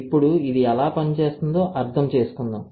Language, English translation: Telugu, Now, let us understand how this works